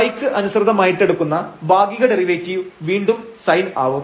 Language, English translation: Malayalam, Partial derivative with respect to y will be again sin and this will become 0 there